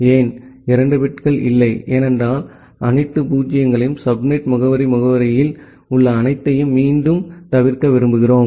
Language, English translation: Tamil, Why not 2 bits, because we want to avoid again all zero’s and all one’s in the subnet addressing field